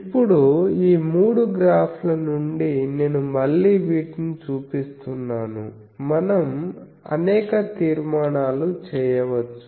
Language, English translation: Telugu, Now, from these three graphs, I am again showing these, we can draw several conclusions